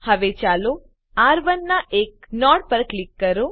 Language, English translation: Gujarati, Now let us click on one of the nodes of R1